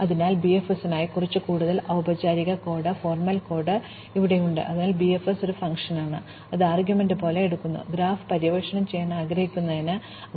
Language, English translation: Malayalam, So, here is some more formal code for BFS, so BFS is a function which takes as it is argument, the vertex from where we want to explore the graph